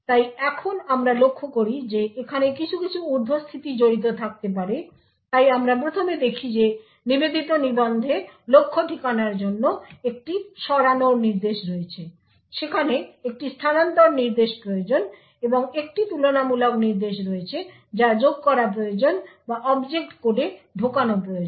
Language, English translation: Bengali, So now we note that there could be certain overheads involved over here so we first see that there is a move instruction for the target address to the dedicated register there is a shift instruction required and there is a compare instruction that is required to be added or to be inserted into the object code